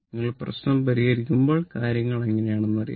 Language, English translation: Malayalam, When we will solve the problem, we will know how things are right